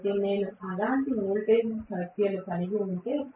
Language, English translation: Telugu, So, if I have such n number of such voltages